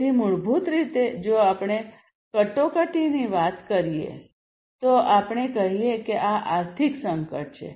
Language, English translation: Gujarati, So, basically if we talk about crisis so, let us say that this is the economic crisis